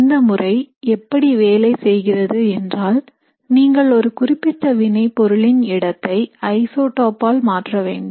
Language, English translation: Tamil, So how the experiment works is you substitute a particular position of the reactant with an isotope